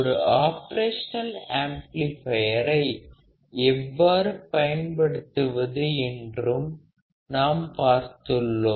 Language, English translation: Tamil, We have also seen how can we use the operational amplifier